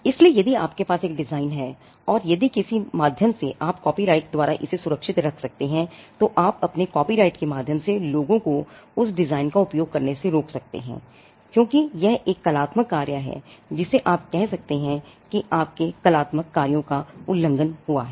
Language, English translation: Hindi, So, if you have a design and if by some means you can protected by a copyright, then you can stop people from using that design through your copyright, because it is an artistic work you can say that there is infringement of your artistic work